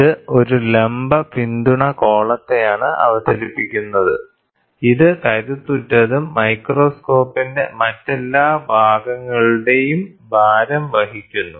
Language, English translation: Malayalam, It features a vertical support column, which is robust and carries the weight of all other parts of the microscope